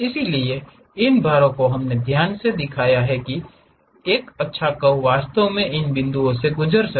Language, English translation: Hindi, So, these weights we carefully shown it, so that a nice curve really pass through these points